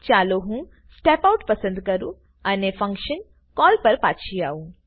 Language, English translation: Gujarati, Let me choose Step Out and come back to the function call